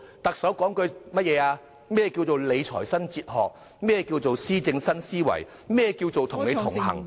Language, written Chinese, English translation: Cantonese, 特首說過甚麼，何謂理財新哲學、何謂施政新思維、何謂與你同行......, The Chief Executive has explained what it means by a new fiscal philosophy a new idea of administration connection